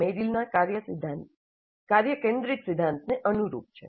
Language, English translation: Gujarati, This corresponds to the task centered principle of Meryl